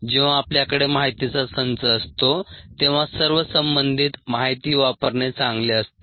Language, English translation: Marathi, when we have a set of data, it's best for used all the relevant once